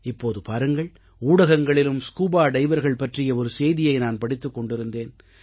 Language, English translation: Tamil, Just the other day, I was reading a story in the media on scuba divers